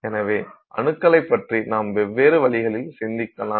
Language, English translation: Tamil, So, then atoms of course you can think of them in different ways